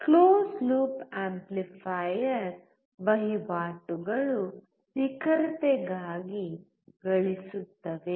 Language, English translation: Kannada, Closed loop amplifier trades gain for accuracy